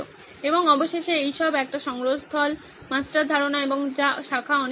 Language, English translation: Bengali, And eventually all this boiled down to a repository, master idea and of which the lot of branching going on